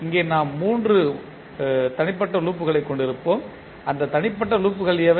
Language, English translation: Tamil, So, here we will have three individual loop, what are those individual loops